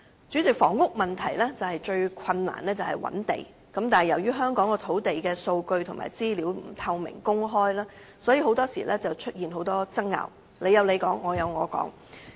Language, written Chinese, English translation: Cantonese, 主席，房屋問題最困難是覓地，但由於香港土地的數據及資料不透明公開，所以經常出現很多爭拗，各有各說。, President identifying land is the greatest difficulty in addressing the housing problem . As land data and information in Hong Kong are not made public or transparent many disputes often arise and there are divergent views